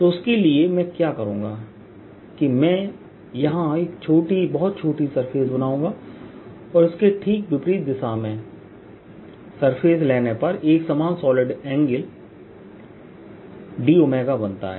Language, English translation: Hindi, so for that, what i will do is i wll make: take a very small surfaces here and, taken on the opposite side, the surface making equal, solid angle, d omega